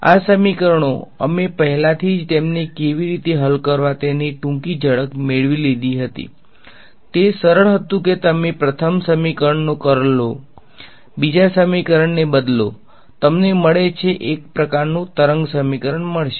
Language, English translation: Gujarati, These equations, we already had brief glimpse of how to solve them it was simple you take curl of first equation, substitute the second equation; you get a you will get a kind of wave equation